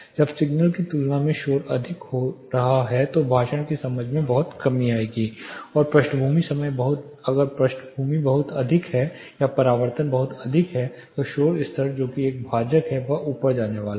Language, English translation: Hindi, When the noise is getting higher than the signal the intelligibility will drastically come down and the background is very high or the reflections are too high the noise level that is a denominator is going to go up